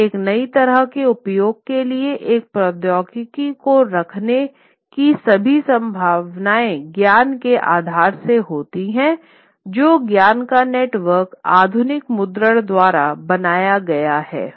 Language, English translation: Hindi, So, and all this possibility of putting one technology for a new kind of use comes with the knowledge base that has been put, knowledge network that has been created by modern printing